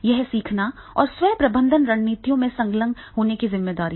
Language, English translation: Hindi, It is a responsibility for learning and to engage in self management strategies